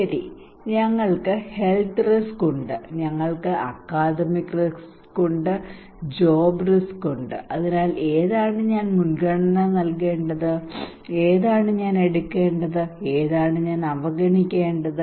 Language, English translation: Malayalam, Okay, we have a health risk, we have academic risk, we have job risk so which one I should prioritise, which one I should take and which one I should ignore